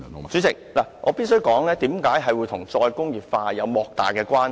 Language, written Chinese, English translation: Cantonese, 主席，我必須指出這與"再工業化"有莫大關係。, President I must point out that they are highly relevant to re - industrialization